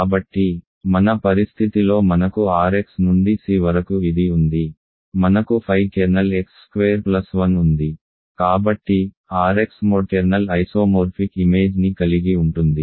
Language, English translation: Telugu, So, in our situation we have R x to C we have this, we have kernel of phi is x squared plus 1 so, R x mod the kernel isomorphic the image